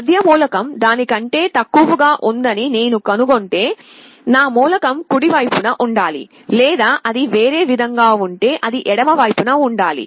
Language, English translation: Telugu, If I find the middle element is less than that, it means my element must be on the right hand side, or if it is other way around, then it must be on the left hand side